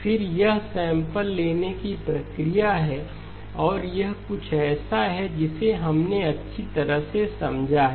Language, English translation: Hindi, Again, this is the sampling process and this is something that we have well understood